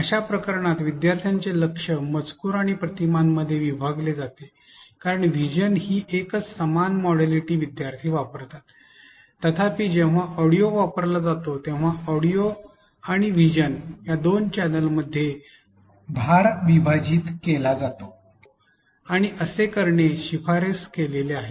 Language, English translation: Marathi, In such case attention will be divided between text and images because both use same modality of vision using narrative; however, divides the load between audio and vision channel which is recommended